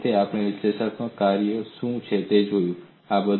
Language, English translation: Gujarati, So we need to understand, what an analytic functions